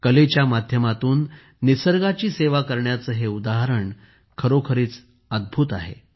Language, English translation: Marathi, This example of serving nature through art is really amazing